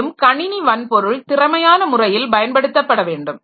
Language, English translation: Tamil, Then use the computer hardware in an efficient manner